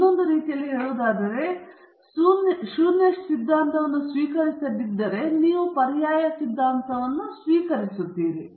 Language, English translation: Kannada, In other words, if you are not accepting the null hypothesis you accept the alternate hypothesis